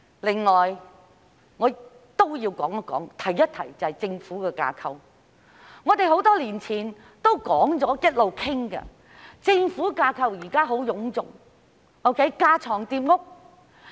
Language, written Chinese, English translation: Cantonese, 此外，我也要提及政府的架構，我們多年以來一直有討論，指出現有的政府架構臃腫，架床疊屋。, Furthermore I would like to talk about the structure of the Government . We have been discussing this for many years pointing out that the existing structure of the Government is bloated and superfluous